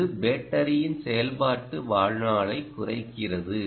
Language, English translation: Tamil, then the battery life time is dependent